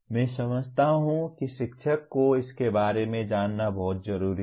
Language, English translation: Hindi, I consider it is very important for the teacher to know about it